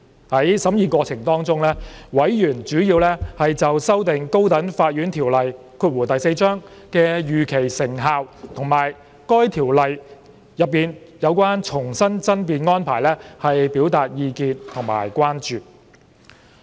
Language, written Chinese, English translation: Cantonese, 在審議過程中，委員主要就修訂《高等法院條例》的預期成效和該條例內的重新爭辯安排表達意見和關注。, During the scrutiny members expressed their views and concerns mainly about the expected effectiveness of the amendments to the High Court Ordinance Cap . 4 and the re - argument arrangement under the Ordinance